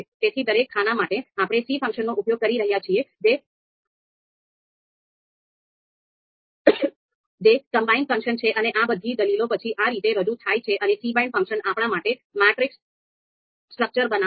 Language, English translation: Gujarati, So for each of you know these columns, we are using the c function, the combined function, and all of these arguments are then you know represented in this fashion and cbind function is going to create a structure the matrix structure for us